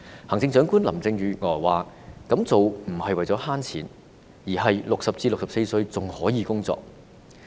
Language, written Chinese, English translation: Cantonese, 行政長官林鄭月娥表示，這樣做不是為了省錢，而是60至64歲的人還可以工作。, Chief Executive Carrie LAM said that the measure is meant not to save money but because people aged 60 to 64 are still employable